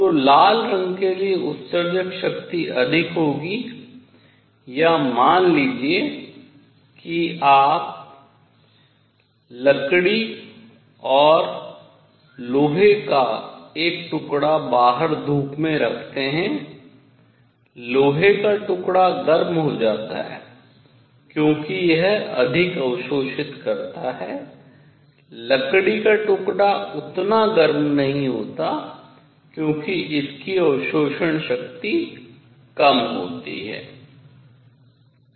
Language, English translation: Hindi, So, emissive power for red color would be more or suppose you put a piece of wood and iron outside in the sun, the iron piece becomes hotter because it absorbs more, wood piece does not get that hot because absorption power is low; their emissive power will also be proportional to that a